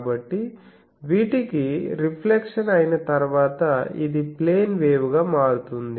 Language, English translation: Telugu, So, after reflection to these this becomes a plane wave